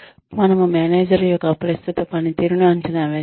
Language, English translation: Telugu, We appraise the manager's current performance